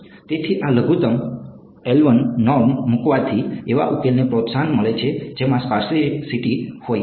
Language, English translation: Gujarati, So, this putting a minimum l 1 norm tends to promote a solution which has sparsity